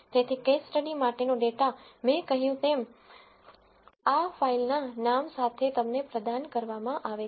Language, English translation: Gujarati, So, the data for this case study like I said is provided to you with these to file name